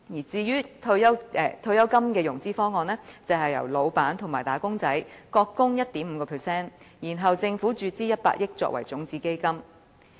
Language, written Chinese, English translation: Cantonese, 至於退休金的融資方案，就是由老闆和"打工仔"各供 1.5%， 然後政府注資100億元作為種子基金。, It was proposed that the pension benefits would be funded by contributions from employers and employees at the rate of 1.5 % together with a start - up fund of 10 billion injected by the Government